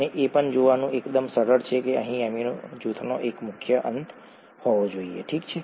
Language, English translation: Gujarati, And also itÕs quite easy to see that there has to be one free end here of amino group, okay